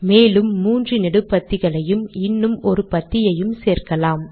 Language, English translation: Tamil, Now let us add three more columns and one more row